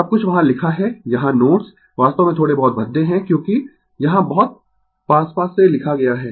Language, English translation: Hindi, Everything is written there here notes actually little bit clumsy because, very closely written here